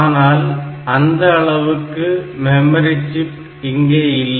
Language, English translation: Tamil, But the memory chips that we have memory chips that we have